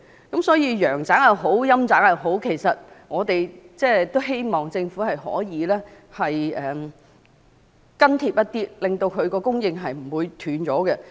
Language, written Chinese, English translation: Cantonese, 無論陽宅也好，陰宅也好，我們都希望政府可以緊貼社會需求狀況，不致令供應中斷。, Whether it is housing for the living or housing for the dead we do hope the Government can live up to the needs of the society to avoid interruption of supply